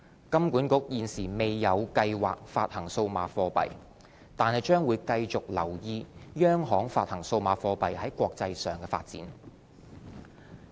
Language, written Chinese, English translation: Cantonese, 金管局現時未有計劃發行數碼貨幣，但將繼續留意央行發行數碼貨幣在國際上的發展。, HKMA has no plan to issue CBDC at this stage but will continue to monitor the international development